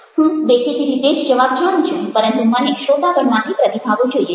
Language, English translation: Gujarati, i know the answer, obviously, but i want to get responses from the audience